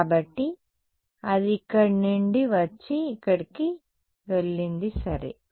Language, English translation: Telugu, So, it came from here and went here ok